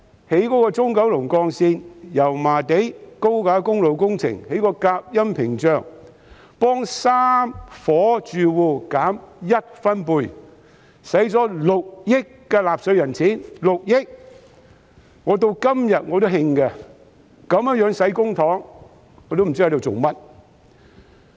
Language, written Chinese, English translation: Cantonese, 例如興建中九龍幹線，要在油麻地的高架公路加設隔音屏障，替3伙住戶把噪音降低1分貝，花了納稅人6億元，我至今仍感到氣憤，如此花費公帑，我也不知道究竟為何？, For instance in the construction of the Central Kowloon Route noise barriers were installed on the elevated highway in Yau Ma Tei to reduce the noise level by one decibel for three households costing 600 million of the taxpayers money . Up to this moment I still feel exasperated . I wonder for what the public coffers were spent in such a way